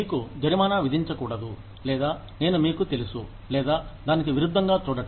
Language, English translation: Telugu, You should not be penalized, or I am, you know, or looking at it, conversely